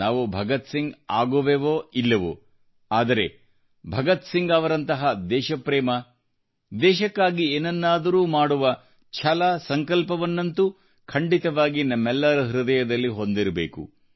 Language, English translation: Kannada, Well see ; We may or may not be able to become like Bhagat Singh, but the love Bhagat Singh had for his country, the drive and motivation he had to do something for his country certainly resides in all our hearts